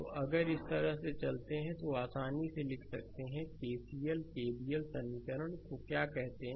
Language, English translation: Hindi, So, if you if you move like this, so easily you can write down your what you call that your KCL KVL equation